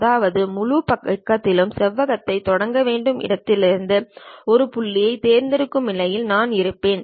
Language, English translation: Tamil, That means I will be in a position to pick one point from where I have to begin rectangle on entire page